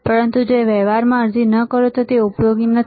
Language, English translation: Gujarati, But if you do not apply into practical it is not useful